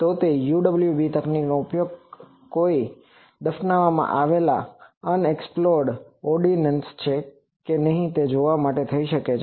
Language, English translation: Gujarati, So, UWB technology can be utilized for seeing whether there is any buried unexploded ordinance